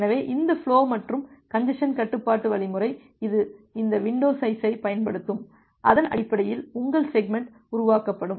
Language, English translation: Tamil, So, this flow and congestion control algorithm, it will use this window size and based on that, your segment will be created